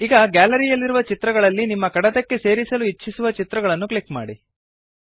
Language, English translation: Kannada, Now go through the images which the Gallery provides and click on the image you want to insert into your document